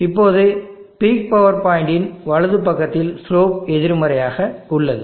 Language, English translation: Tamil, Now on the right side of the peak power point the slope is negative